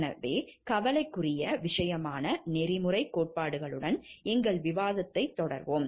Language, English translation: Tamil, So, we will continue with our discussion with the ethical theories that are a matter of concern